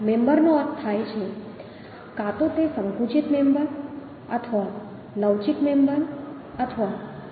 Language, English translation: Gujarati, the member design Member means either it is a compressible member or flexible member or tension member